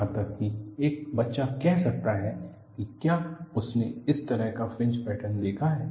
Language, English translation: Hindi, Even a child can say, if it has seen this kind of a fringe pattern